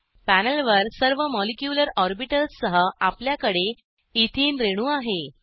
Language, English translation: Marathi, On the panel, we have ethene molecule with all the molecular orbitals